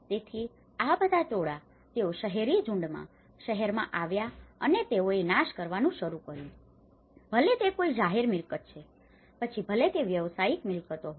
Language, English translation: Gujarati, So, all these mobs, they come to the city in the urban clusters and they started destroying, burning down whether it is a public property, whether it is a commercial properties